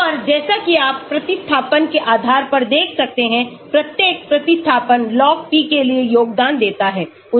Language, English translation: Hindi, And as you can see depending upon the substitution, each substitution contributes towards log p